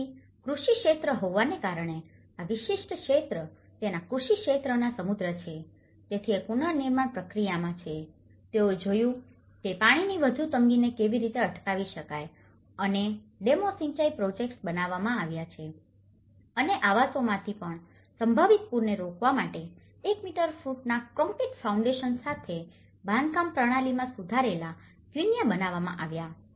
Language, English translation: Gujarati, So, because being an agricultural sector, this particular region is rich in its agricultural sector, so one is in the reconstruction process, they looked at how to prevent the further water shortage and dams have been irrigation projects have been built and also from the housing the construction system with concrete foundations of 1 meter footings to prevent possible floods was built an improved quincha